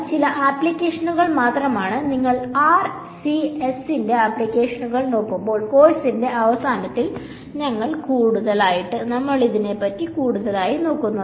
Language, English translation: Malayalam, These are just some of the applications and we will look at more towards the end of the course when you look at applications of RCS